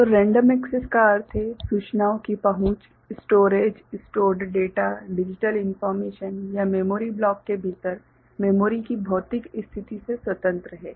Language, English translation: Hindi, So, random access means the access of the information, the storage, stored data, digital information, it is independent of physical position of the memory within the memory block ok